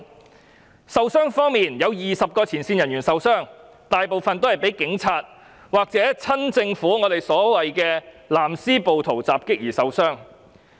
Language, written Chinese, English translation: Cantonese, 至於受傷人數方面，有20名前線人員受傷，大部分均是被警察或親政府人士襲擊而受傷。, As for the number of injuries 20 frontline workers were injured and most of them sustained injuries due to the attacks perpetrated by police officers or pro - government individuals